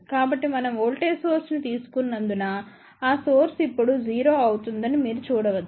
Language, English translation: Telugu, So, you can see that source is now made 0, since we had taken a voltage source